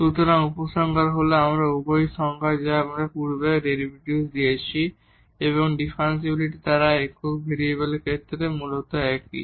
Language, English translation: Bengali, So, the conclusion is that the both the definition what we have given earlier the derivative and the differentiability they are basically the same in case of the single variable